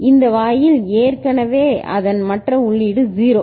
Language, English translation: Tamil, So, these gate already the other input of it is 0 ok